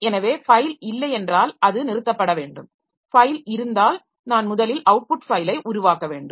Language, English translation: Tamil, If the file exists then I have to first create the output file